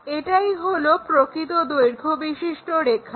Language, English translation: Bengali, This is the way we construct this true length